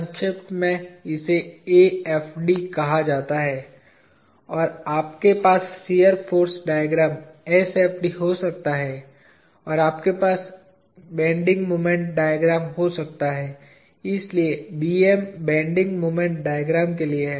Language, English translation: Hindi, In short it is called AFD, and you can have shear force diagram SFD, and you can have bending moment diagram, so BM for bending moment diagram